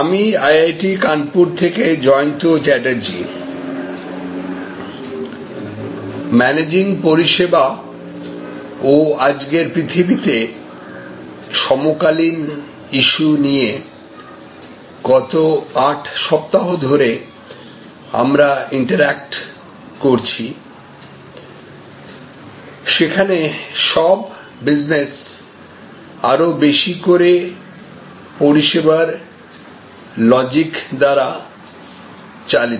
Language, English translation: Bengali, Hello, this is Jayanta Chatterjee from IIT Kanpur, for last 8 weeks we have been interacting on Managing Services and the contemporary issues in today’s world, where all businesses are more and more driven by the service logic